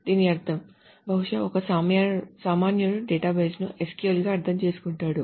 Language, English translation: Telugu, It means they probably a layman understands database as SQL